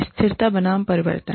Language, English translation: Hindi, Stability versus change